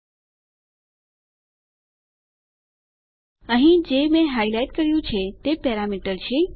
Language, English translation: Gujarati, What I have highlighted here is our parameter